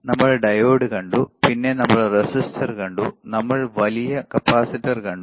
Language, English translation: Malayalam, We have seen diode then we have seen resistor, we have seen resistor we have seen capacitor we have seen bigger capacitor